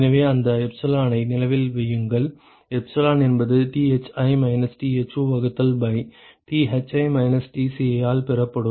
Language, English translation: Tamil, So, remember that epsilon; epsilon is given by Thi minus Tho divided by Thi minus Tci